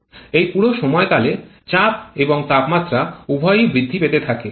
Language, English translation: Bengali, For this entire duration both pressure and temperature keeps on increasing